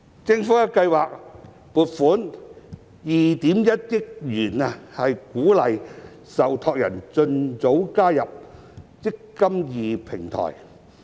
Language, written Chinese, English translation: Cantonese, 政府計劃撥款2億 1,000 萬元鼓勵受託人盡早加入"積金易"平台。, The Government has planned to allocate 210 million to incentivize trustees early onboarding to the eMPF Platform